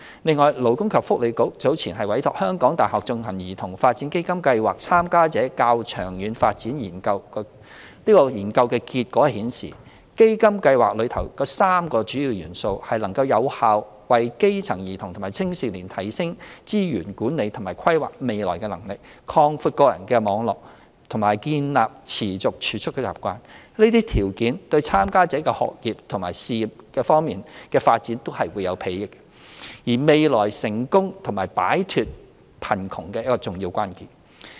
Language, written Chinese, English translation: Cantonese, 另外，勞工及福利局早前委託香港大學進行的"兒童發展基金計劃參加者的較長遠發展研究"結果顯示，基金計劃內的3個主要元素，能有效地為基層兒童和青少年提升資源管理和規劃未來的能力，擴闊個人網絡，並建立持續儲蓄的習慣，這些條件對參加者的學業和事業方面發展均有裨益，是未來成功和擺脫貧窮的重要關鍵。, The Labour and Welfare Bureau has earlier commissioned the University of Hong Kong to conduct the Study on the Longer Term Development of Child Development Fund Project Participants . The study results indicated that the three key components of the CDF projects could effectively enhance underprivileged children and youngsters ability in resource management and future planning expand their personal networks and help them develop a persistent savings habit . These benefits could enhance their academic and career development and are fundamental to their future success and their ability to combat poverty